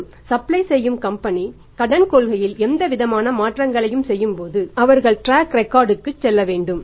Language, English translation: Tamil, And the supplying company while making any kind of changes in the Credit Policy they must go for the track record